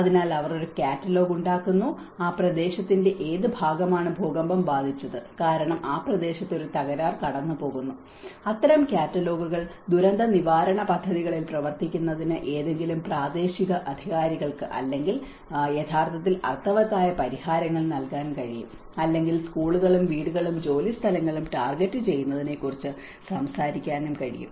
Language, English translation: Malayalam, So, they make a catalogue that which part of the region and which is affected by the earthquakes because a fault line goes in that region and such kind of catalogues will help, and it can actually give a meaningful solutions for any local authority to work on a disaster preparedness plans or which could also talk about targeting schools and homes and workplaces